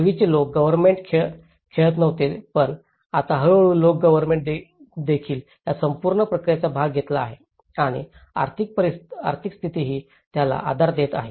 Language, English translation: Marathi, And earlier local government was not playing but now, gradually local government also have taken part of the whole process and the economic status is actually, supporting to that